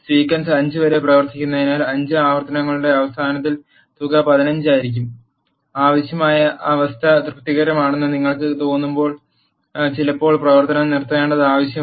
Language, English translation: Malayalam, Since the sequence runs up to 5 the sum will be 15 at the end of 5 iterations, sometimes it is necessary to stop the function when you feel that the required condition is satisfied